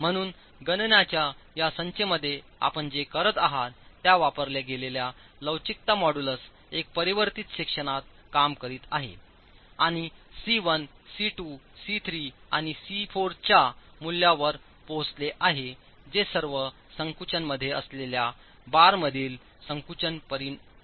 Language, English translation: Marathi, So, with a modulus of elasticity used, what you are doing in this set of calculations is working on a transform section and arriving at the value of C1, C2, C3 and C4 which are the compression resultants in the in the bars which are all in compression